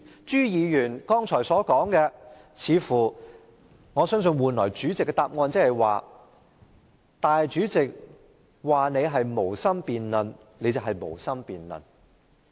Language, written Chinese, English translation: Cantonese, 朱議員，我相信主席給你的答覆的意思是：主席說你是無心辯論，你就是無心辯論。, Mr CHU I believe the meaning of the Presidents reply to you is that if he says you have no intention of debating then you have no intention of debating